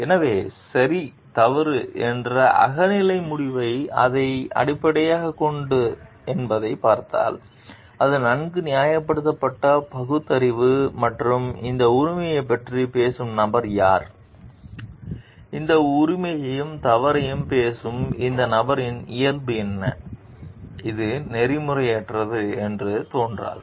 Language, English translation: Tamil, So, if we look at what the subjective decision of right and wrong is based on; whether it is based on reasons well reasoned, rational and who is the person who is talking of this right or wrong, what is the nature of this person who is talking of this right and wrong it may not appear to be unethical